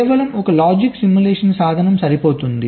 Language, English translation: Telugu, what is a logic simulation tool